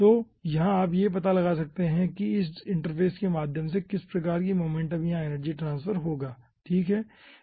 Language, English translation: Hindi, so here you can find out ah that through this interface there will be some sort of momentum or energy transfer